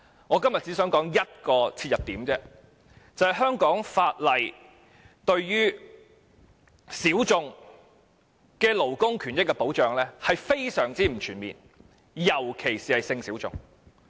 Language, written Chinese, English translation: Cantonese, 我今天只想提出一個切入點，就是香港法例對於小眾的勞工權益保障是非常不全面的，特別是性小眾。, Today I only wish to raise one starting point for discussion that is the legislation on the labour rights of minorities particularly those of sexual minorities in Hong Kong is very limited in scope